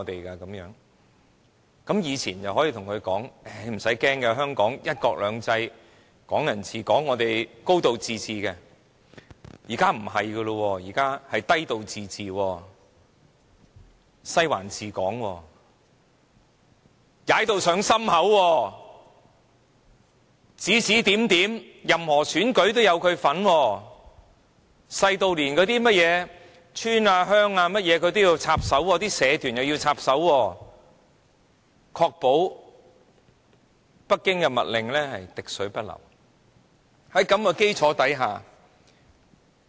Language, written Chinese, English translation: Cantonese, "過往你可以告訴他："不用怕，香港'一國兩制'、'港人治港'及'高度自治'"；但現在不是的，是"低度自治"、"'西環'治港"及"踩到上心口"，任何選舉它也有份，指指點點，小至甚麼村或鄉的事宜也要插手，社團又要插手，確保北京的密令滴水不漏。, But this is no longer the case now . All we now have are a low degree of autonomy Western District ruling Hong Kong and a high degree of interference . They meddle in all elections and keep bossing around intervening even in the affairs of tiny rural villages and triad societies just to make sure that Beijings secret orders are always carried out completely